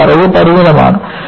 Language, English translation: Malayalam, But, the knowledge is limited